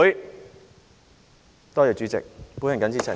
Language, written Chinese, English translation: Cantonese, 多謝代理主席，我謹此陳辭。, Thank you Deputy Chairman . I so submit